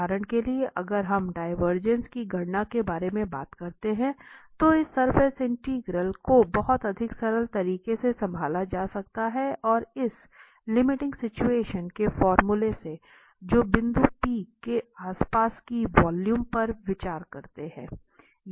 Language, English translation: Hindi, So, for instance if we talk about the computation of the divergence, so, this surface integral can be handled in a much more simpler way and the formula which turn up out of this limiting situation, considering a volume around a point P